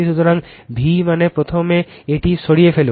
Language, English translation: Bengali, So, v means first you remove this one